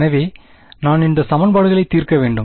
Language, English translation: Tamil, So, I need to solve these equations